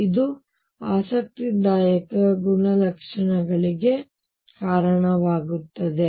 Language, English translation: Kannada, This leads to interesting properties